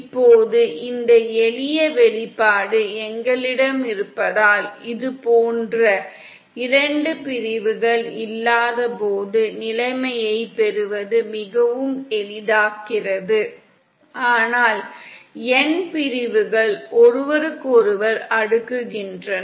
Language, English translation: Tamil, Now that we have this simple expression, this makes it much easier to derive the condition when we have not two sections cascaded like this but then n sections cascaded with each other